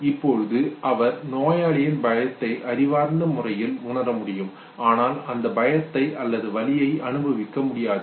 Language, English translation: Tamil, Now he can intellectually realize the patient’s fear, but cannot experience fear or pain okay